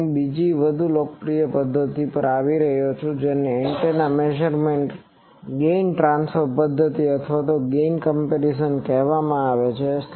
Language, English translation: Gujarati, Now, I come to another more popular method is called that gain transfer method of antenna measurement or gain comparison